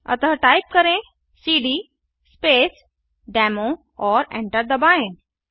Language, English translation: Hindi, So type cd Space Demo and hit Enter ls, press Enter